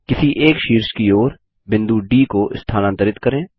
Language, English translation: Hindi, Move the point D towards one of the vertices